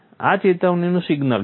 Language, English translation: Gujarati, This is the warning signal